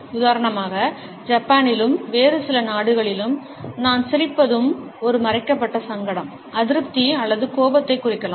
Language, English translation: Tamil, For example, in Japan as well as in certain other countries I smile can also indicate a concealed embarrassment, displeasure or even anger